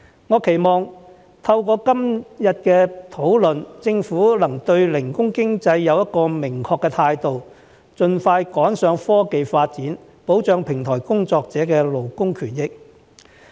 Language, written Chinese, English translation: Cantonese, 我期望透過今天的討論，政府能對零工經濟有一個明確的態度，盡快趕上科技發展，保障平台工作者的勞工權益。, I hope that in this debate today the Government can demonstrate a clear attitude towards gig economy and expeditiously catch up with the technological advancement and protect the labour rights of platform workers